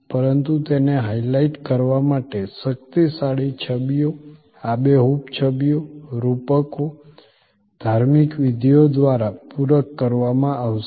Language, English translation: Gujarati, But, it will be supplemented by powerful images, vivid images, metaphors, rituals to highlight